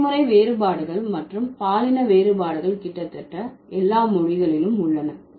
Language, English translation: Tamil, So, the generational differences and the sex differences, they are there are there almost in all languages